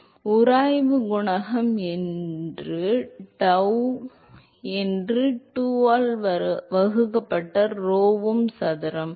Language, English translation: Tamil, So, friction coefficient that Cf that is tau divided by rho um square by 2